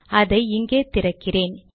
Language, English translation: Tamil, Let me open it here